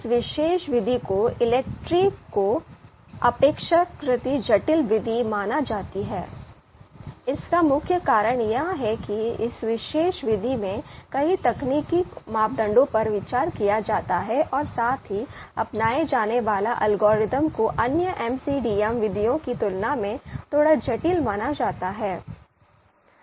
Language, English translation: Hindi, So this particular method ELECTRE is considered to be relatively complex method, the main you know the main reason being that a number of technical parameters are considered in this particular method and also the algorithm that is adopted is slightly complex in comparison to other MCDM methods